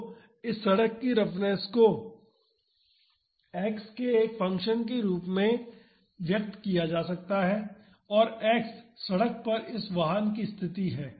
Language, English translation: Hindi, So, the roughness of this road can be expressed as a function of X and X is the position of this vehicle on the road